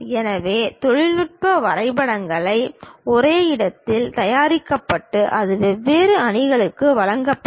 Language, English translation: Tamil, So, technical drawings will be prepared at one place and that will be supplied to different teams